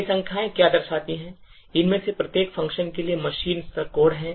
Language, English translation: Hindi, What these numbers actually represent are the machine level codes corresponding to each of these functions